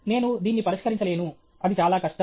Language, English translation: Telugu, I cannot solve this it is, so difficult